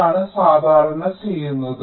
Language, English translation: Malayalam, ok, this is what is normally done